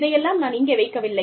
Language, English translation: Tamil, I have not put it all, here